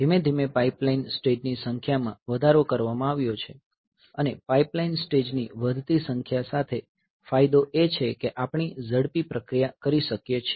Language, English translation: Gujarati, So, slowly the number of pipeline stages have been increased and with the increasing number of pipeline stages the advantage is that we can we can have faster processing